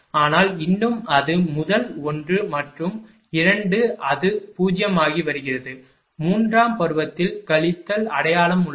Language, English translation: Tamil, But, still it is the first one and 2 it is becoming 0, in the case of third term minus sign is there